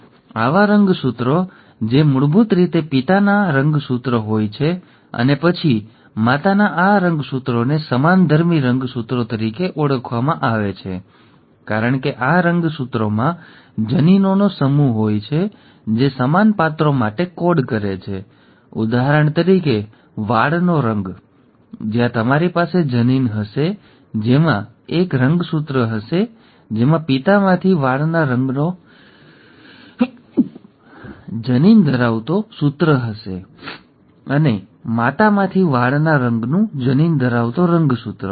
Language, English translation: Gujarati, So such chromosomes, which are basically this chromosome from father, and then this chromosome from the mother is called as the homologous chromosomes, because these chromosomes contain a set of genes which code for similar characters, say for example hair colour, where you will have a gene, having a chromosome having a hair colour gene from father, and a chromosome having a hair colour gene from the mother